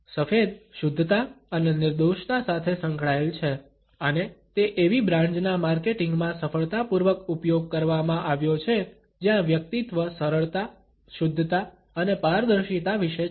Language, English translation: Gujarati, White is associated with purity and innocence and has been successfully used in marketing of those brands where the personality is about simplicity, purity and transparency